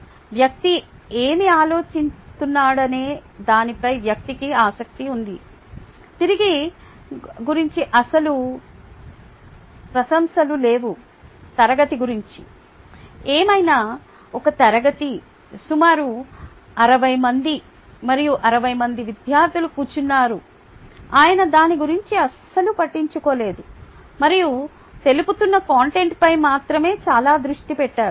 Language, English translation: Telugu, right, the person was interested in what the person was thinking, no real appreciation of what the class was about and class of whatever, sixty people sitting there and sixty students sitting there, absolutely no concern about that, and was very focused on the content that was going to be covered